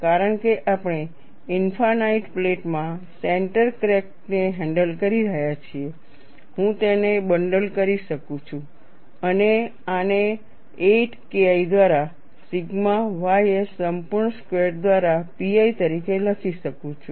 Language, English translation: Gujarati, Since we are handling a center crack in an infinite plate, I can bundle this and write this as pi by 8 K 1 by sigma ys whole square